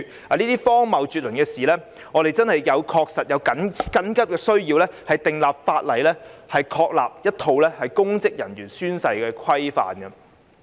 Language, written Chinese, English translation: Cantonese, 面對這些荒謬絕倫的事，我們確實有迫切需要訂立法例，確立一套公職人員宣誓規範。, In the face of such absurdities there is indeed an urgent need for us to enact legislation to establish a set of oath - taking regulations for public officers